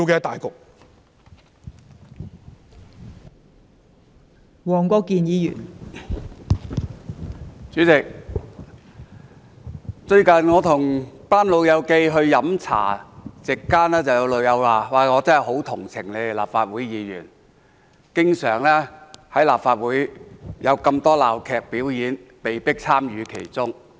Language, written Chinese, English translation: Cantonese, 代理主席，最近我和一班老朋友飲茶，席間有人說很同情我們立法會議員，因為立法會經常上演鬧劇，我們被迫參與其中。, Deputy President recently when I was having tea with a bunch of old friends someone said he sympathized with us Members of the Legislative Council because very often we were forced to participate in the farces staged at Council meetings